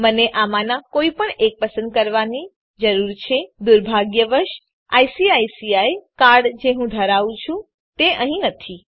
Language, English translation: Gujarati, I need to choose one of these, unfortunately the card that i have namely ICICI bank card is not here